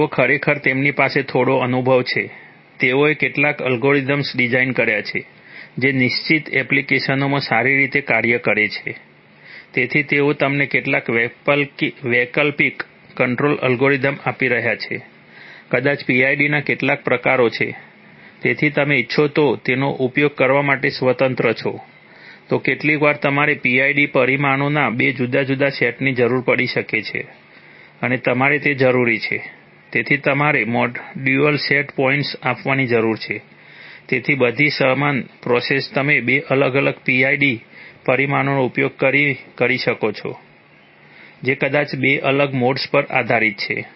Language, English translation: Gujarati, So they are actually, they have some experience, they have designed some algorithms which are, which are, work well in certain applications, so they are providing you some alternate control algorithm maybe some variants of PID, so you are free to use them if you want, then sometimes you may require two different sets of PID parameters and you need to have, so you need to give dual set points, so all the same process you could use two different PID parameters maybe depending on two different modes